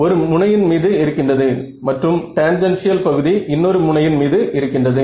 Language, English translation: Tamil, On one edge and the tangential component on the other edge is where